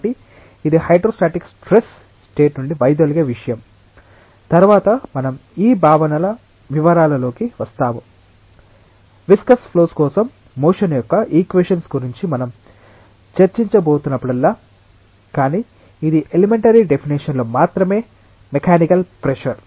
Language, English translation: Telugu, So, that is what is something which deviates from a hydrostatic state of stress we will come into the details of these concepts later on, whenever we are going to discuss about the equations of motion for viscous flows, but this is just at elementary definition of mechanical pressure